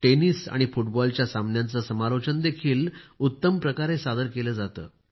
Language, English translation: Marathi, The commentary for tennis and football matches is also very well presented